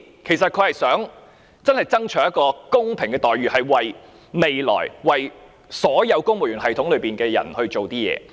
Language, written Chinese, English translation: Cantonese, 其實他真的想爭取一個公平的待遇，是為了未來公務員系統中的所有人做點事。, In fact his true intention is to fight for fair treatment or do something for everyone in the future civil service for that matter